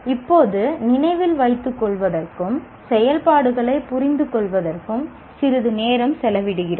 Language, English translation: Tamil, Now we spend some time in looking at the remember and understand activities